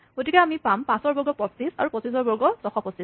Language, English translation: Assamese, Therefore, you get 5 squared 25; 25 squared 625